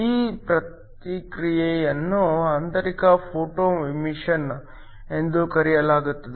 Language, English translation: Kannada, This process is called an Internal Photoemission